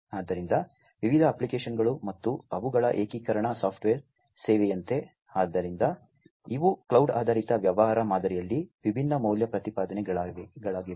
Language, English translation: Kannada, So, different applications and their integration software as a service; so, these are the different value propositions in the cloud based business model